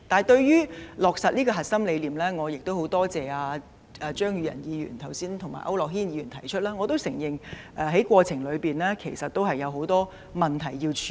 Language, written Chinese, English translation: Cantonese, 對於落實這個核心理念，我很多謝張宇人議員及區諾軒議員剛才提出，而我亦承認過程中有很多問題需要處理。, Regarding the implementation of this core idea I thank Mr Tommy CHEUNG and Mr AU Nok - hin very much for raising just now that a lot of issues have to be dealt with in the process . I also admit this point